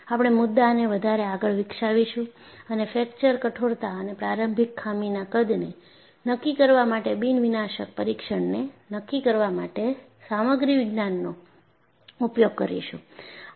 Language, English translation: Gujarati, You would develop the concept and uses Material Science to determine the fracture toughness and nondestructive testing to determine the initial flaw size